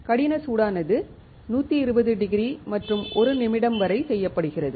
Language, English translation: Tamil, Hard bake is done at 120 degrees and for 1 minute